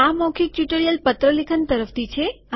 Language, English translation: Gujarati, This is from the spoken tutorial on letter writing